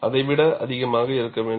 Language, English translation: Tamil, It should be greater than that